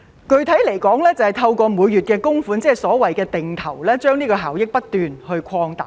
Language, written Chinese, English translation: Cantonese, 具體來說，就是透過每月供款，即所謂的"定投"，將效益不斷擴大。, Specifically it seeks to continuously expand the returns through monthly contribution ie . the so - called automatic investment plan